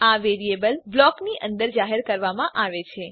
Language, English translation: Gujarati, These variables are declared inside a block